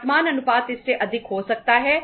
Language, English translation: Hindi, Current ratio can be more than this